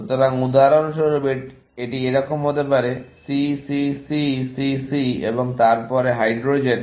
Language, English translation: Bengali, So, for example, it could be like this; C, C, C, C, C; and then, the hydrogen items